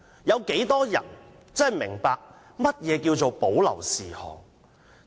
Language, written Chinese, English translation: Cantonese, 有多少人真的明白何謂保留事項？, How many people really understand what reserved matters are?